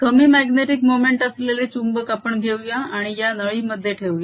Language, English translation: Marathi, let's take this magnet with a small magnetic moment and put it through this tube channel